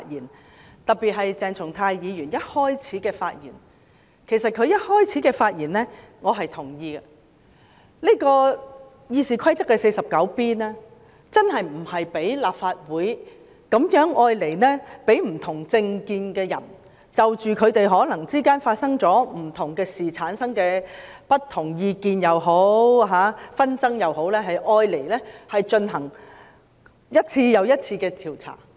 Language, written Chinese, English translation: Cantonese, 我特別同意鄭松泰議員發言的開首部分，就是《議事規則》第 49B 條不是用來讓立法會內持不同政見的人，為了彼此間可能因發生各種事情而產生的不同意見或紛爭，進行一次又一次的調查。, I agree in particular with what Dr CHENG Chung - tai said in the beginning of his speech ie . Rule 49B of the Rules of Procedure RoP is not meant for people with different political views in this Council to carry out one investigation after another into matters that cause divergent opinions or disputes among Members